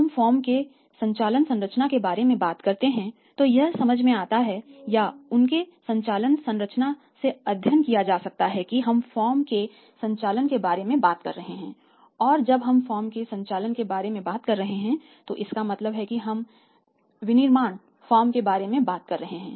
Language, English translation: Hindi, When we talk about the operating structure of the firm right the operating structure of the firm is is is is understandable or can be studied from their operating structure of the firms we talk about the operations right we talked about the operation of the firm and when we are talking with the operations of the firm it means we are talking about the manufacturing firm, a firm which deals with the manufacturing